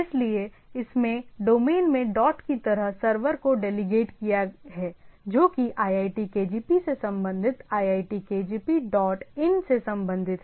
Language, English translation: Hindi, So, it has it has delegated the server like ac dot in domain as delegated that iitkgp related to the iitkgp dot ac dot in